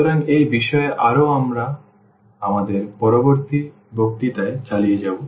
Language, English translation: Bengali, So, more on this we will continue in our next lecture